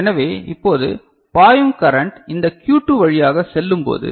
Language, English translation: Tamil, So, now, this current that is flowing right so, when it passes through this Q2